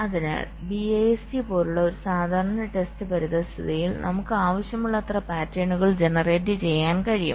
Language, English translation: Malayalam, so in a typical test environment like bist we can generate as many patterns we required sim